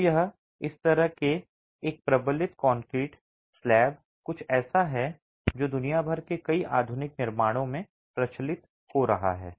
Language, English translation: Hindi, So, this sort of a reinforced brick concrete slab is something that is becoming prevalent in several modern constructions across the world